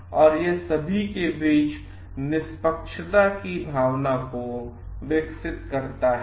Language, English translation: Hindi, So, it develops a sense of fairness amongst all